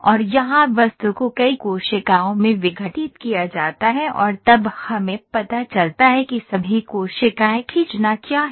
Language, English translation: Hindi, And here the object is decomposed into several cells and then we know what are all the cells to draw